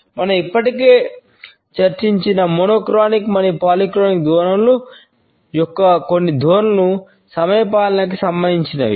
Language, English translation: Telugu, Certain tendencies of monochronic and polychronic orientations which we have already discussed are related with punctuality